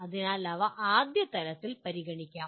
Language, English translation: Malayalam, So they can be considered at first level